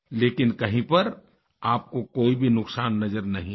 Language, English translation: Hindi, But, you did not find any damage anywhere